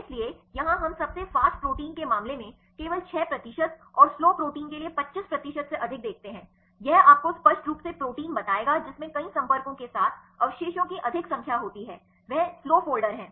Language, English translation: Hindi, So, here we see only 6 percent in the fastest and more than 25 percent in the case of the slowest proteins this will clearly tell you the proteins right which containing more number of residues with multiple contacts right they are slow folders